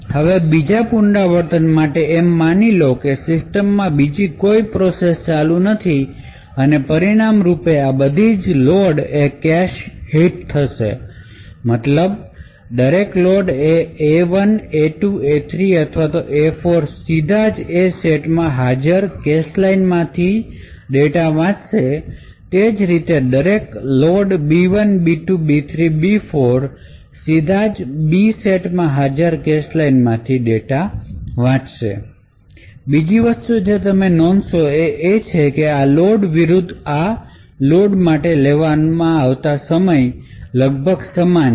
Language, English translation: Gujarati, Now, for the second iteration onwards assuming that there is no other process running in the system all of these load operations would result in cache hits the reason being that every subsequent load to say A1 A2 A3 or A4 would directly read the data from the corresponding cache line present in the A set similarly every subsequent load to B1 B2 B3 or B4 would directly read the data from this B set